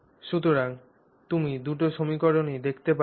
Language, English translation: Bengali, Those are the two equations that we have here